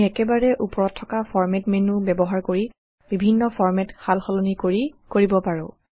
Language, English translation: Assamese, We can use the Format menu at the top for making various format changes